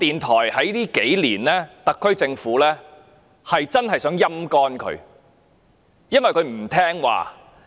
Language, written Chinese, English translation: Cantonese, 在這數年間，我認為特區政府真的想將港台"陰乾"，因其不聽話。, In the past few years I think the SAR Government has been trying to gradually deplete the resources of RTHK since it has not been compliant